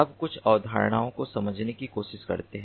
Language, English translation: Hindi, now let us try to understand few concepts